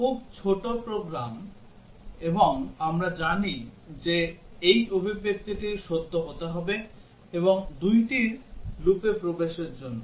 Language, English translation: Bengali, These very small program; and we know that this expression as to be true for this two enter into the loop